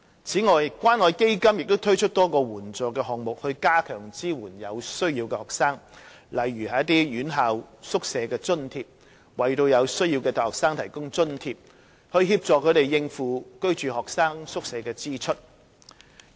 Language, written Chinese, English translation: Cantonese, 此外，關愛基金亦推出多個援助項目，加強支援有需要的學生，例如"院校宿舍津貼"為有需要的大學生提供津貼，以協助他們應付居住學生宿舍的支出。, Moreover the Community Care Fund has launched a number of assistance programmes to provide greater support for needy students such as a programme to provide hostel subsidy for needy undergraduate students to meet their hostel expenses